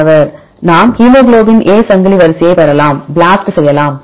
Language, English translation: Tamil, where shall we get the hemoglobin A chain sequence